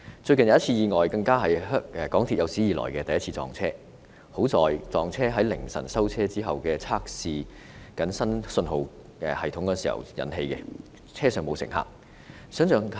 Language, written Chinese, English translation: Cantonese, 最近更發生了有史以來第一次港鐵撞車意外，幸好意外在凌晨收車後測試新信號系統時發生，車上沒有乘客。, Recently a train collision even occurred the first time ever in history . Luckily the accident occurred in the early hours of the morning outside the service hours during the trial run of a new signalling system and there was no passenger on the trains